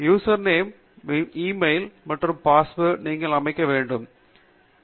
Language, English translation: Tamil, The user name is your e mail itself and the password is what you can set